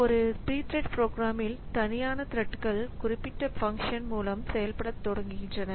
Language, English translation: Tamil, So, in a p threads program, the separate threads begin execution in a specific function